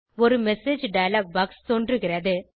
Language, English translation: Tamil, A message dialog box pops up